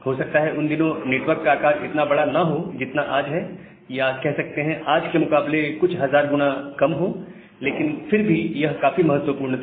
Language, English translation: Hindi, And during that time, the size of the network was may not be as large as it is today or maybe some thousand factors lesser than today, but still it was significant